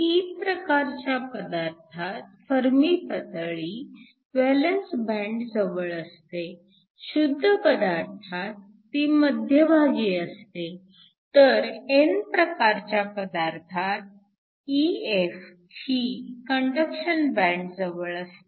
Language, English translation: Marathi, In the case of a p type material, the Fermi level is close to the valence band for an intrinsic, it is close to the middle, and for an n type EF is close to the conduction band